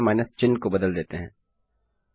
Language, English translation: Hindi, We will just replace the minus symbol there